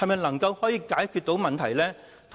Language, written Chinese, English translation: Cantonese, 能否解決問題呢？, Can this solve the problems?